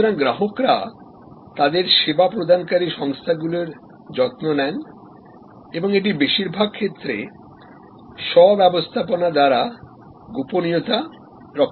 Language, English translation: Bengali, So, customers care for their serving organizations and that is a self management of confidentially in most cases